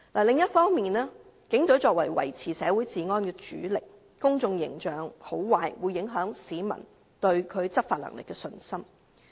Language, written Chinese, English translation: Cantonese, 另一方面，警隊作為維持社會治安的主力，其公眾形象的好壞會影響市民對其執法能力的信心。, On the other hand as the Police Force is the major force in maintaining law and order in society its public image will affect the peoples confidence in its enforcement capability